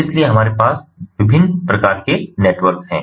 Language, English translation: Hindi, so we have different types of network